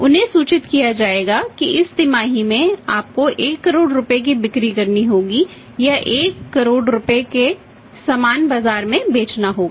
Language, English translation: Hindi, They would be communicated that this quarter you have to sell say one crore rupees worth of the sales or but 1 crore rupees worth of the goods to sell in the market